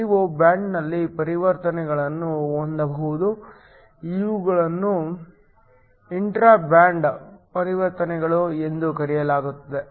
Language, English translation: Kannada, You could also have transitions within the band these are called intra band transitions